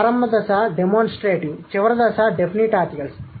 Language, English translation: Telugu, The initial stage was demonstrative, final stage is definite article